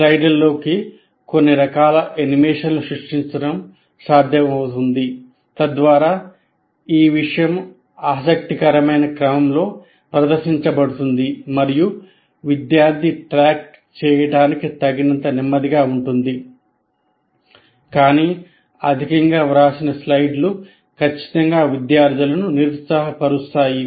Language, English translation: Telugu, It is possible to create some kind of animations into the slides so that the material is presented in a very interesting sequence and slow enough for the student to keep track